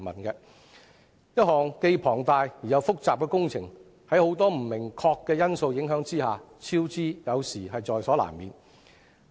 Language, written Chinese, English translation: Cantonese, 一項既龐大又複雜的工程，在很多不明確的因素影響之下，超支有時候是在所難免。, For a large - scale and complex project it is sometimes inevitable to incur cost overruns arising from many uncertainties